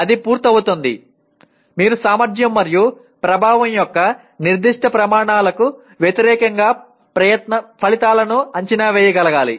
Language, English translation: Telugu, That is having completed, you must be able to evaluate the outcomes against specific criteria of efficiency and effectiveness